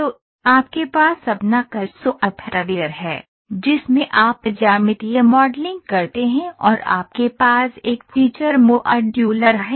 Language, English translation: Hindi, So, you have your CAD software, where in which you do geometric modelling and you have a feature modular